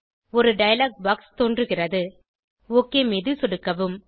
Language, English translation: Tamil, A dialog box pops up, lets click OK